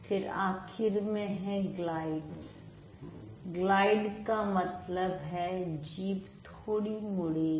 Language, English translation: Hindi, glide means the tongue is going to be twisted a bit